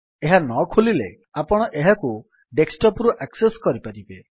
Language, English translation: Odia, If it doesnt open, you can access it from the desktop